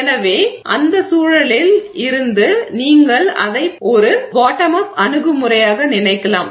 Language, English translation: Tamil, So you can think of it as a bottom up approach